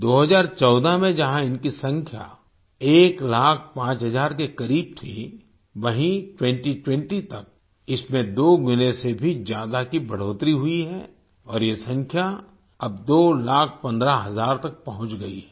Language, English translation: Hindi, In 2014, while their number was close to 1 lakh 5 thousand, by 2020 it has increased by more than double and this number has now reached up to 2 lakh 15 thousand